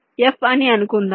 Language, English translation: Telugu, lets say f